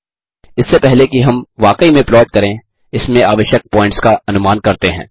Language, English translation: Hindi, Before we actually plot let us calculate the points needed for that